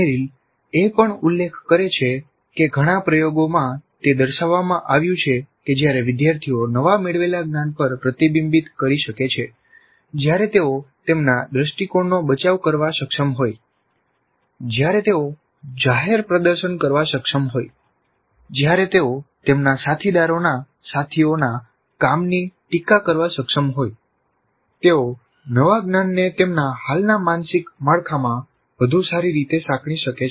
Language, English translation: Gujarati, Essentially Merrill also mentions that in several experiments it has been demonstrated that when the students are able to reflect on their newly acquired knowledge and when they are able to defend their point of view and when they are able to do a public demonstration or when they are able to critique their colleagues, peers work, they are able to integrate the new knowledge better into their existing mental framework and in such instances the learners are able to retain these for much longer periods